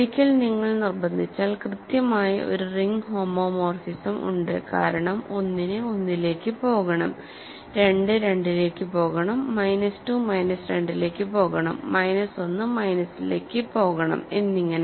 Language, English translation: Malayalam, And, once you insist on it there is exactly one ring homomorphism right because, once you know that 1 has to go to 1, 2 has to go to 2, minus 2 has to go to minus 2, minus 1 has to go to minus 1 and so on